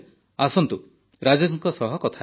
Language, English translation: Odia, So let's talk to Rajesh ji